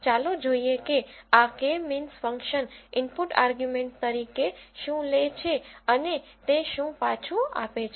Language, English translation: Gujarati, Let us look at what this K means function takes as input arguments and what does it return